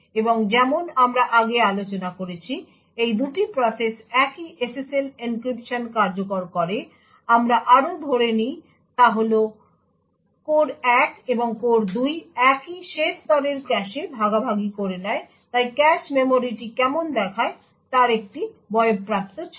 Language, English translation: Bengali, And as we have discussed before, both of these processes execute the same SSL encryption, also what we assume is that both core 1 and core 2 share the same last level cache, so this is a grown up picture of what the cache memory looks like